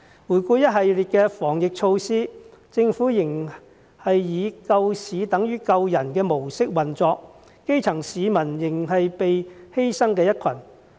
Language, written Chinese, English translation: Cantonese, 回顧一系列的防疫措施，政府仍是以"救市等於救人"的模式運作，基層市民仍是被犧牲的一群。, A look at the series of anti - pandemic measures tells us that the Government still operates with the mindset that saving the market means saving the public and people at the grass roots are still the ones who are sacrificed